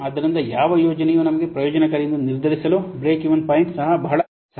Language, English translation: Kannada, So, a break even point is also very helpful to decide that which project will be beneficial for us